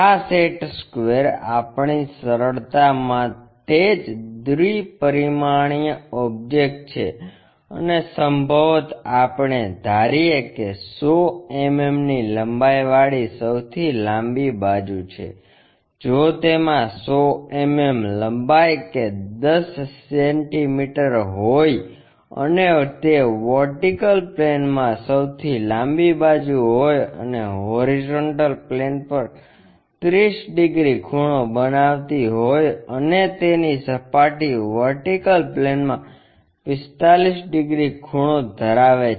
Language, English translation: Gujarati, This set square is a two dimensional object for our simplification and perhaps let us assume that the longest side having 100 mm length, if it is having 100 mm length 10 centimeters and it is in the vertical plane the longest side and 30 degrees is inclined to horizontal plane while its surface is 45 degrees inclined to vertical plane